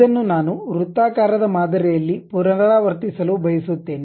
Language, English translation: Kannada, This one I would like to repeat it in a circular pattern